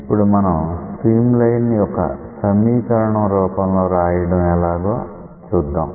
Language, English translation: Telugu, Now, to express the stream line in terms of some equation